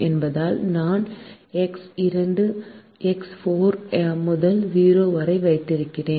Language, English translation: Tamil, since i am keeping x two and x four to zero, i am writing these off